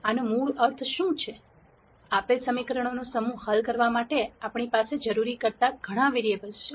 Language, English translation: Gujarati, What this basically means, is that we have lot more variables than necessary to solve the given set of equations